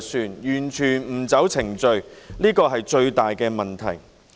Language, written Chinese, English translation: Cantonese, 它完全不按程序辦事，是最大的問題。, The biggest problem is that the Government has completely failed to follow the procedures